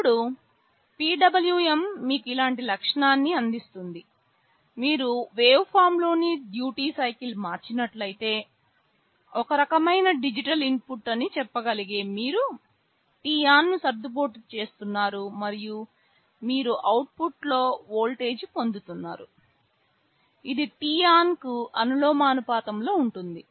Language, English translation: Telugu, Now, PWM also provides you with a similar feature, like if you change the duty cycle of the waveform that you can say is some kind of digital input, you are adjusting t on, and you are getting a voltage in the output which is proportional to that t on